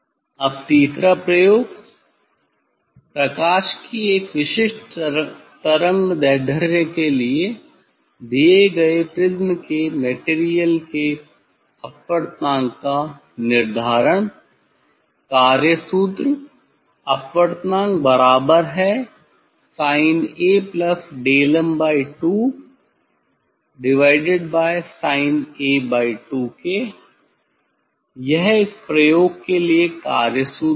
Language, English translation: Hindi, now third experiment determination of refractive index of the material of a given prism for a particular wavelength of light, working formula mu refractive index is equal to sin A plus delta m by 2 sin A by 2